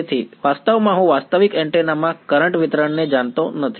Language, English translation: Gujarati, So, actually I do not know the current distribution in a realistic antenna